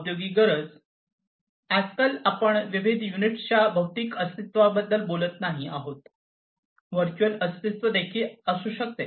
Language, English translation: Marathi, So, nowadays we are not talking about physical presence of the different units, there could be virtual presence also